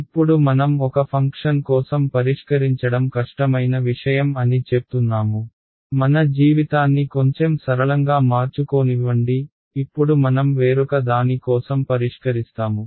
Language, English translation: Telugu, Now I say that solving for a function is a difficult thing; let me make my life a little simpler let me now solve for something else